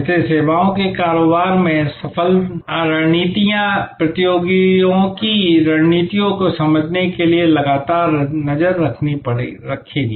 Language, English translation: Hindi, So, successful strategies in the services businesses therefore, will constantly track and try to understand the competitors strategies